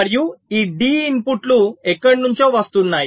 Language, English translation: Telugu, and this d inputs are coming from somewhere